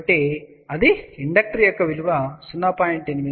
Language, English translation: Telugu, So, that will be the inductor value of 0